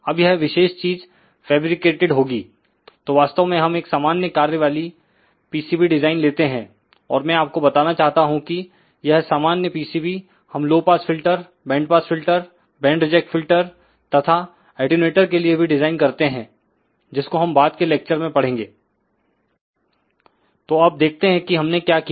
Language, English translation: Hindi, So, we have actually designed a general purpose pcb and I just want to mention to you that this general pcb we had designed for low pass filter, bandpass filter, band reject filter , attenuators also which we will discuss in the later lectures